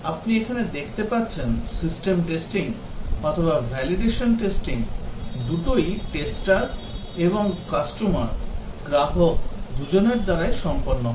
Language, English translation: Bengali, As you can see here that the system testing or the validation testing is done both by the testers and also by the customers